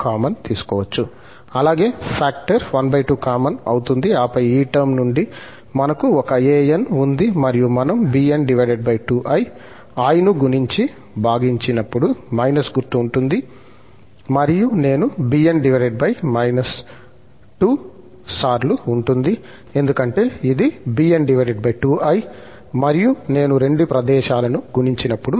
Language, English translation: Telugu, Also, the factor half will be common and then we have an from this term and when we multiply and divide by i, so, this will become minus sign there but there will be i times bn, because it was bn over 2i, and when we multiply i both the places